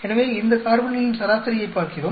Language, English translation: Tamil, So, we look at the average of these carbons